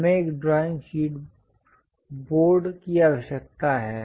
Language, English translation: Hindi, We require a drawing board